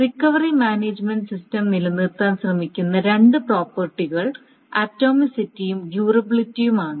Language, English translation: Malayalam, So the recovery management system, essentially the two properties that it tries to maintain is the atomicity and the durability